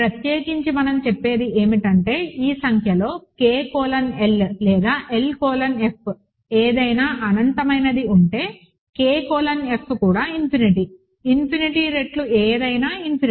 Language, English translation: Telugu, In particular what we are saying is that if either of these numbers K colon L or L colon F is infinite, K colon F is also infinite with the convention that infinity times anything is infinity